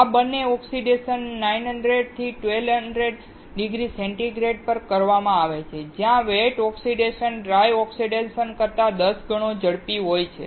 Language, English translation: Gujarati, Both of these oxidations are done at 900 to 1200 degree centigrade, where wet oxidation is about 10 times faster than dry oxidation